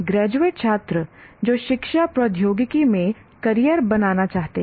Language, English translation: Hindi, And also graduate students who wish to make careers in education technology, for example